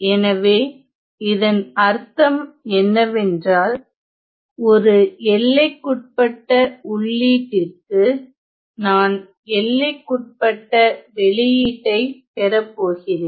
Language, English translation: Tamil, So, which means in that case we are going to get for a bounded for a bounded input I am going to get bounded output ok